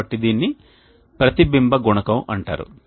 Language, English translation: Telugu, Then the reflection coefficient